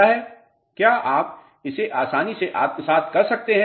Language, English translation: Hindi, Can you assimilate this easily